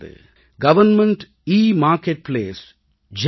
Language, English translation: Tamil, Government EMarketplace GEM